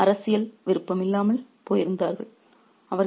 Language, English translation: Tamil, They had become devoid of political will